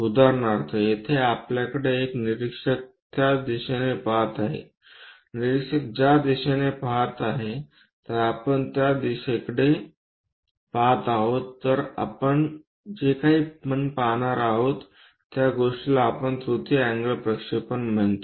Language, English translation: Marathi, For example, here we have observer watching in that direction similarly, observer is watching in that direction observer watches in that direction onto that direction if we are projecting whatever the thing we are going to see that is what we call third angle projection